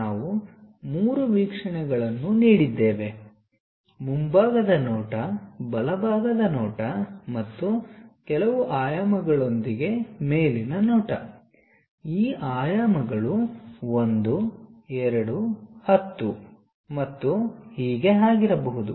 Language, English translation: Kannada, We have given three views, the front view, the right side view and the top view with certain dimensions these dimensions can be 1, 2, 10 and so on